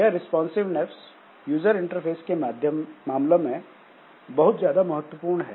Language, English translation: Hindi, So, that way this responsiveness is very important, especially for user interfaces